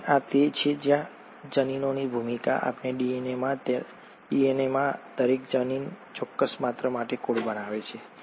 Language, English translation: Gujarati, And this is where the role of genes, each gene in our DNA codes for a certain character